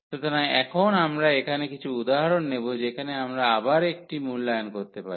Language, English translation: Bengali, So, now, we will take some example here where we can evaluate just again a remarks